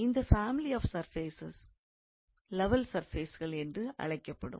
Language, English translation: Tamil, And the family of these surfaces are called as level surfaces